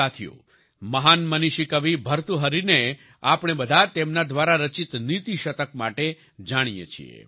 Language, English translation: Gujarati, Friends, we all know the great sage poet Bhartrihari for his 'Niti Shatak'